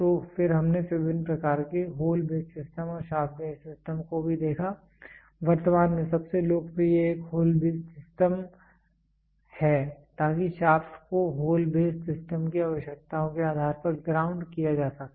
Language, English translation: Hindi, So, then we also saw the different types of hole base system and shaft base system, currently the most popular one is hole base system so, that the shaft can be ground to or be to the requirements of hole base system